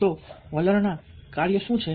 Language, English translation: Gujarati, so what are the functions of attitudes